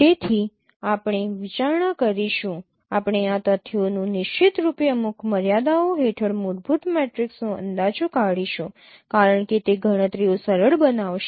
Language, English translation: Gujarati, So we will be considering, we will be exploiting these facts for estimating the fundamental matrix under certain constraint scenarios because that would simplify the computations